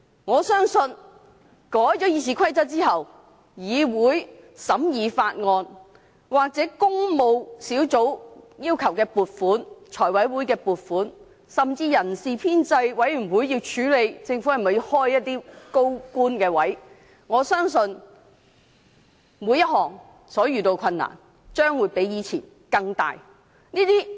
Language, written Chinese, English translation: Cantonese, 我相信修改《議事規則》後，立法會審議法案，或工務小組委員會要求財務委員會撥款，甚至人事編制小組委員會處理政府開設的高官職位申請，所遇到的困難將會比以前更大。, I believe the Government will encounter much greater difficulties during the scrutiny of bills in the Council when the Public Works Subcommittee seeks funding allocation from the Finance Committee or when the Establishment Subcommittee handles the Governments applications for creation of posts of senior officials after the amendments to RoP . They are simply courting troubles as haste will only make waste